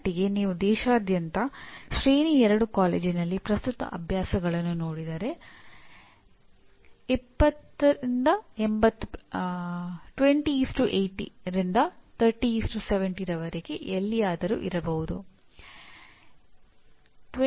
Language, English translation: Kannada, To this extent the present practices in tier 2 college across the country if you see, there could be anywhere from 20:80 to 30:70